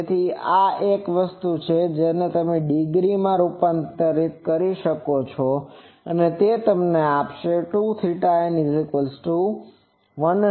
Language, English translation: Gujarati, So, this is in a thing and you can convert it to degree that will give you 114